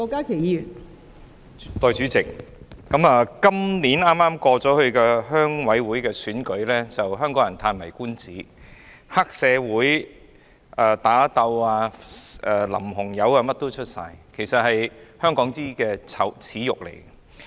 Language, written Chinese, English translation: Cantonese, 代理主席，今年剛結束的鄉事會選舉令香港人嘆為觀止，既有黑社會打鬥，又有淋紅油，應有盡有，實在是香港的耻辱。, Deputy President the RC election of this year completed not long ago is a real eye - opener to Hong Kong people . There were triad fights splashing of red paint and all sort of vices which is a shame to Hong Kong